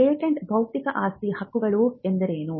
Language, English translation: Kannada, what is a patent intellectual property rights